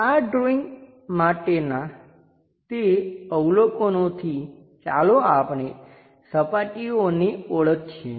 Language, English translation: Gujarati, With those observations for this drawing let us identify the surfaces